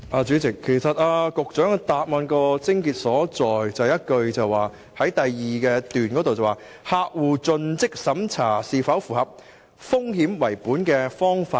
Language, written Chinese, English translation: Cantonese, 主席，局長的主體答覆的癥結，在於第二部分那一句，"客戶盡職審查是否符合'風險為本'的方法"。, President the crux of the Secretarys main reply lies in a sentence in part 2 that is whether a risk - based approach was applied in CDD process